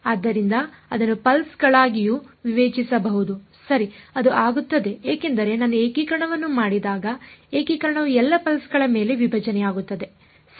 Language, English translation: Kannada, So, may as well discretise that also into pulses ok, it will become because when I do the integration the integration will split over all the pulses right